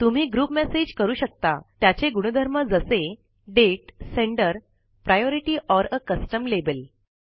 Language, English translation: Marathi, You can group messages by attributes such as Date, Sender,Priority or a Custom label